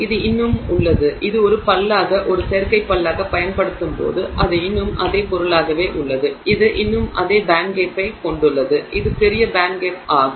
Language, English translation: Tamil, It still has when it is used as a tooth as an artificial tooth it is still the same material it still has the same band gap which is the large band gap